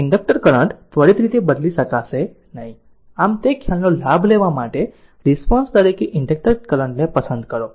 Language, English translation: Gujarati, Select the inductor current as the response in order to take advantage of the idea that the inductor current cannot change instantaneously right